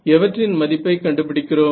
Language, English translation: Tamil, Finding the value of what